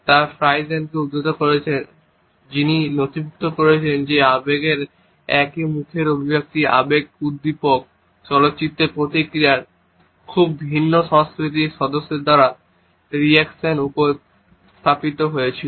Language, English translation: Bengali, They have quoted Friesen, who has documented that the same facial expression of emotions were produced spontaneously by members of very different cultures in reaction to emotion eliciting films